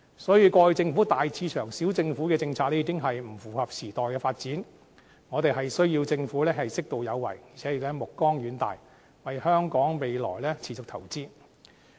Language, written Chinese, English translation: Cantonese, 所以，過去政府大市場、小政府的政策已經不符合時代的發展，我們需要政府適度有為，而且目光遠大，為香港未來持續投資。, Therefore the policy of big market small government in the past will no longer suitable for the present time development . We need a Government which must be appropriately proactive in the development forward - looking and invest continuously for the future of Hong Kong